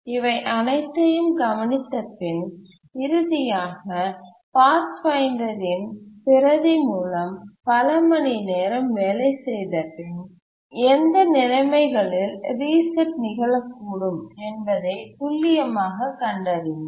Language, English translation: Tamil, And finally, after several hours of working with the replica of the Pathfinder, they could converge and the precise conditions under which the reset occurred